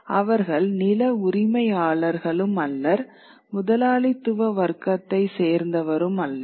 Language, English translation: Tamil, They are not the land owning classes and they are not the capitalist classes